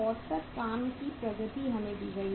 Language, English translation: Hindi, Average work in process we are given